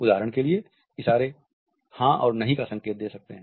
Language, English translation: Hindi, For example, the gestures indicating yes and no